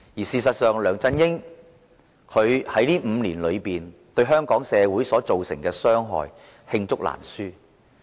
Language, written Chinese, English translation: Cantonese, 事實上，梁振英在過去5年對香港社會造成的傷害，罄竹難書。, In fact the cases in which LEUNG Chun - ying has harmed Hong Kong society over the past five years are too numerous to mention